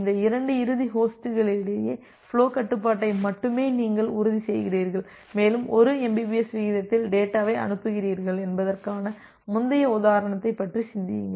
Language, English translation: Tamil, And you are only ensuring the flow control among these two end host and just think about the earlier example that you are sending data at a rate of 1 mbps